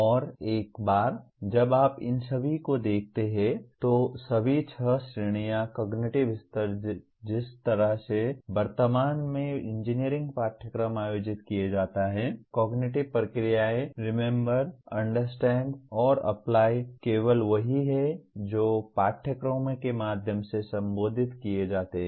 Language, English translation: Hindi, And once you look at all these, all the six categories of cognitive levels the way presently the engineering courses are organized the cognitive processes Remember, Understand and Apply are the only one that are addressed through courses